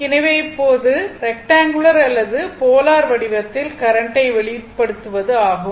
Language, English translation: Tamil, So now, expressing the current in rectangular or polar form right